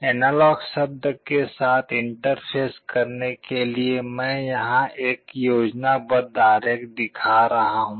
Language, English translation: Hindi, To interface with the analog word, I am showing a schematic diagram here